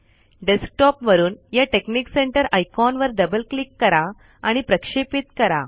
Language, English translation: Marathi, So, double click the texnic center icon from the desktop and launch it